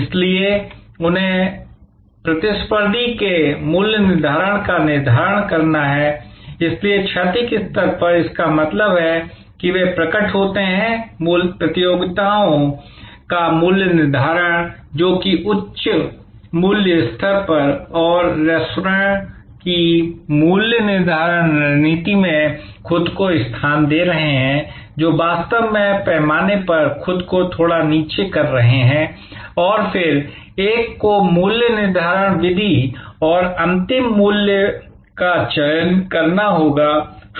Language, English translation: Hindi, So, they have to therefore determine the pricing of competitor, so at the horizontal level; that means they appears, pricing of competitors who are positioning themselves at a higher price level and pricing strategy of restaurants, who are actually positioning themselves a little down on the scale and then, one has to select a pricing method and selected final price